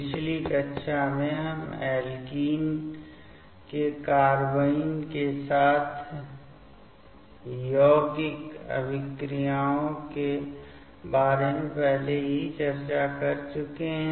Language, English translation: Hindi, In the last class, we have already discussed about the addition reaction of alkene with a carbene